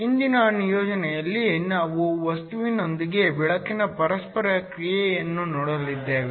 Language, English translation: Kannada, In today’s assignment, we are going to look at the interaction of light with matter